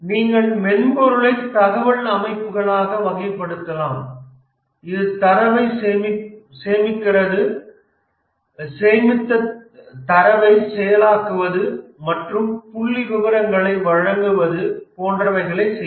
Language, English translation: Tamil, But then you can also classify the software into either information systems which store data, process the stored data, present the data and statistics